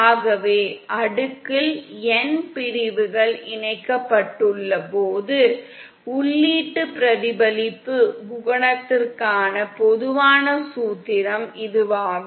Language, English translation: Tamil, So this is the general formula for the input reflection coefficient when we have n sections connected in cascade